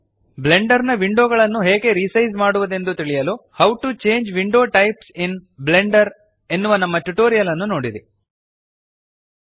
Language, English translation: Kannada, To learn how to resize the Blender windows see our tutorial How to Change Window Types in Blender Go to the top row of the Properties window